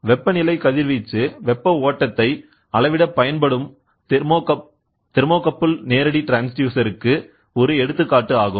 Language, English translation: Tamil, A thermocouple that is used to measure temperature radiation heat flow is an example for this transducer direct